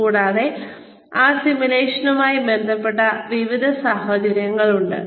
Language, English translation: Malayalam, And, there is various scenarios, related to that simulation